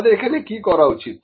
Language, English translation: Bengali, What we need to do